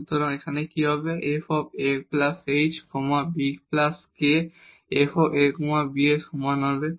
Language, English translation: Bengali, So, what will happen here f a plus h and b plus k will be equal to f a b